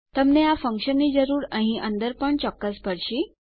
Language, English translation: Gujarati, You will, of course, need this function inside here, as well